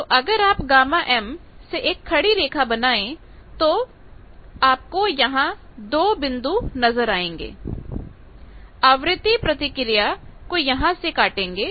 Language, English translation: Hindi, So, if you put a horizontal line from the gamma m then you see 2 points you are getting which is cutting that frequency response